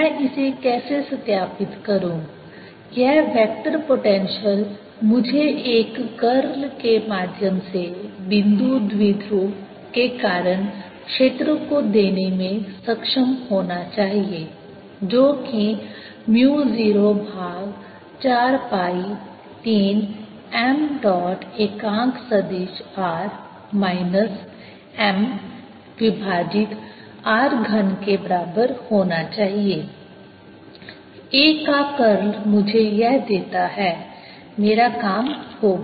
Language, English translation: Hindi, this vector potential should be able to give me, through curl, the field due to a point dipole which should be equal to mu zero over four pi three m dot r unit vector r unit vector minus m divided by r cubed